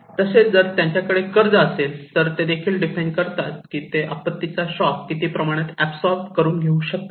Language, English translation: Marathi, Also, if they have loan or debts that also define that what extent they can absorb the shock of a particle, a disaster